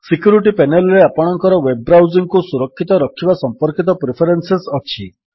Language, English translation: Odia, The Security panel contains preferences related to keeping your web browsing safe